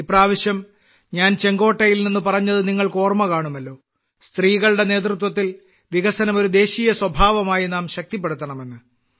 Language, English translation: Malayalam, You might remember this time I have expressed from Red Fort that we have to strengthen Women Led Development as a national character